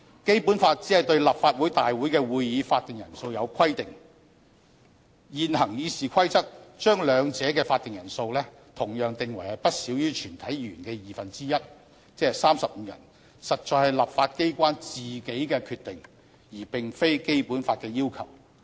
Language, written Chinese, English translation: Cantonese, 《基本法》只是對立法會大會會議的法定人數有規定，現行《議事規則》將兩者的法定人數同樣訂為不少於全體議員的二分之一，實在是立法機關自己的決定，而並非《基本法》的要求。, The Basic Law only provides for the quorum for Legislative Council meetings . The Rules of Procedure sets the same quorum for meetings of the Legislative Council and those of the Committee of the whole Council; in other words no less than one half of all its Members should be present . This is a decision made by the legislature not a request of the Basic Law